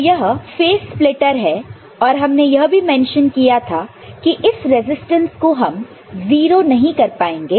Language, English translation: Hindi, So, this is the phase splitter and also we mentioned that this resistance cannot be made 0